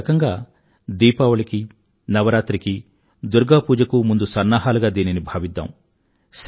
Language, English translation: Telugu, We could look at this as preparations for Diwali, preparations for Navaratri, preparations for Durga Puja